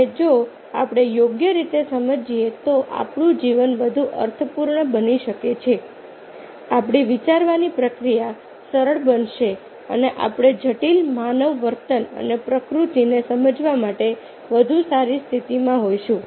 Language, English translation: Gujarati, if we understand properly, then our life might be more meaningful, more easier, our thinking process will be simpler and will be in a better position to understand the complex human behavior and nature